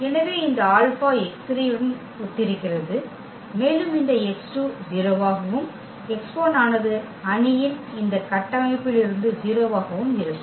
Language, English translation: Tamil, So, therefore, this alpha is corresponding to x 3 and this x 2 will be 0 and x 1 will be also 0 from this structure of the matrix